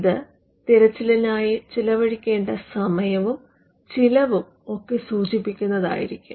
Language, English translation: Malayalam, And this search request would indicate what is the time and cost that has to be expended in the search